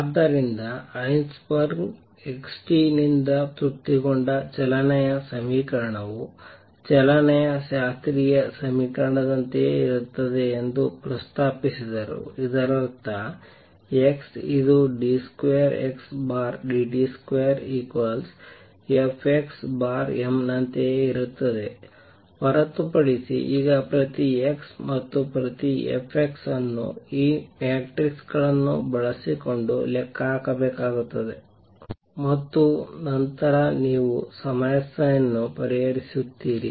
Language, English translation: Kannada, So, what Heisenberg proposed that the equation of motion satisfied by x t is the same as the classical equation of motion; that means, x double dot t which is same as d 2 x over dt square is going to be equal to Fx divided by m, except that now each x and each f x has to be calculated using these matrices and then you solve the problem